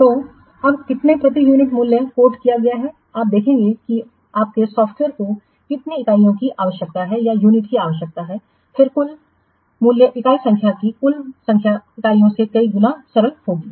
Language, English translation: Hindi, You see your software will require how many units, then the total price will be the unit price multiplied by the total number units